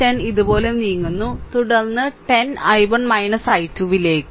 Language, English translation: Malayalam, So, plus 10 is coming move like this, then 10 into i 1 minus i 2